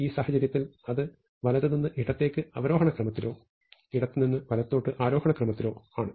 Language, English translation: Malayalam, In this case, it is from right to left in descending order or from left to right in ascending order